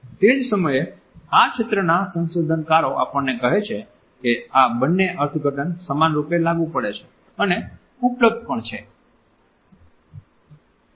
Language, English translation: Gujarati, At the same time researchers in this area tell us that both these interpretations are equally applicable and available